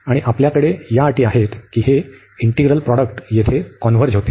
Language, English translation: Marathi, And that those conditions we have that this integral the product here converges